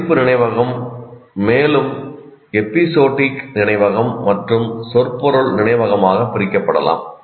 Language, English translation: Tamil, This declarative memory may be further subdivided into what we call episodic memory and semantic memory